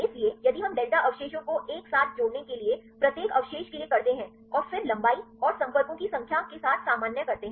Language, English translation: Hindi, So, if we do it for each residue to get the delta Sij add up together and then normalize with the length and the number of contacts right